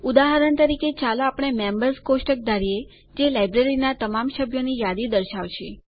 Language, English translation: Gujarati, For example, let us consider the Members table that lists all the members in the Library